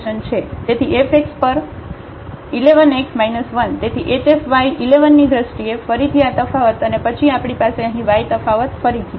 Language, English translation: Gujarati, So, the f x at 1 1 x minus 1 so, this difference again in terms of h f y 1 1 and then we have y minus 1 again the difference here